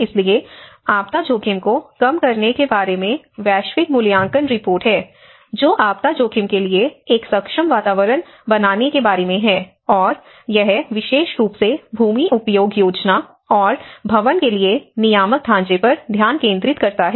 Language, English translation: Hindi, So, there is global assessment report on disaster risk reduction talks about creating an enabling environment for disaster risk and this especially focus on the regulatory frameworks for land use planning and building